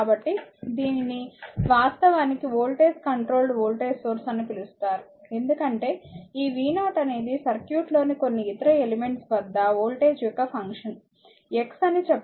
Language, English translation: Telugu, So, this is actually called voltage controlled voltage source, because this v 0 is function of this voltage across some other element in the circuit say x